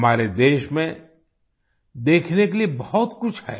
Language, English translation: Hindi, There is a lot to see in our country